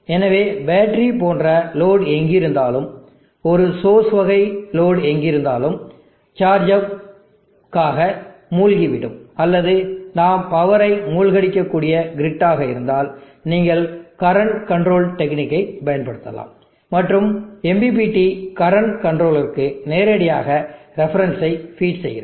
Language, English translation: Tamil, So wherever there is a load like the battery, wherever there is a source type of load which is sinking to the charger or the grid where we can sink power, you can use current controlled technique and MPPT can directly feed into the reference of the current controller